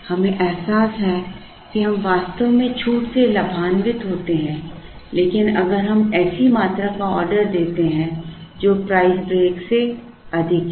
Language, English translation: Hindi, We realize that we actually benefit from the discount, only if we order a quantity that is higher than the price break